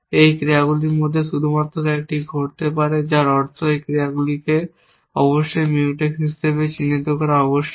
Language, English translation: Bengali, That only one of those actions can happen which means that these actions must be mark as Mutex somehow essentially